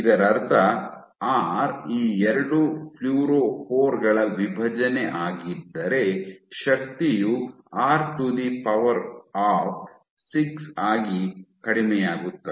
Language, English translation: Kannada, Which means if r is the separation between these 2 fluorophores your energy will decrease reduce as r to the power 6